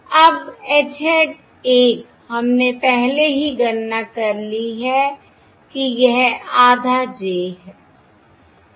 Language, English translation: Hindi, Now H hat 1, we have already calculated that is half j